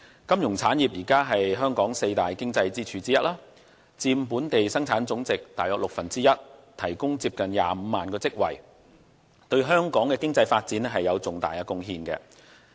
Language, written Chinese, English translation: Cantonese, 金融產業是香港四大經濟支柱之一，佔本地生產總值約六分之一，提供接近25萬個職位，對香港的經濟發展有重大貢獻。, The financial industry is one of the four major pillar industries of Hong Kong which accounts for one - sixth of our GDP . It also offers almost 250 000 posts so its contribution to Hong Kongs economic development is very substantial